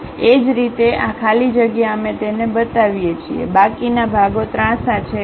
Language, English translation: Gujarati, Similarly, this free space we show it; the remaining portions are hatched